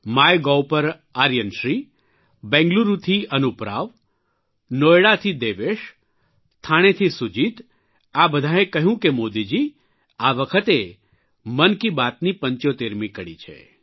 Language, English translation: Gujarati, On MyGov, Aryan Shri Anup Rao from Bengaluru, Devesh from Noida, Sujeet from Thane all of them said Modi ji, this time, it's the 75th episode of Mann ki Baat; congratulations for that